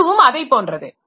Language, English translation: Tamil, So, it is like that